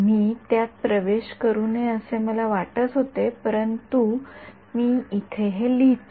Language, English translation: Marathi, I was hoping to not get into it, but I will let us write this over here